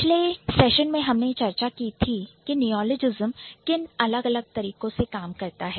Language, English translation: Hindi, So, in the previous session I was talking about what are the different ways by which neologism works